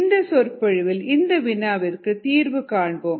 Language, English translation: Tamil, let us solve that problem in this lecture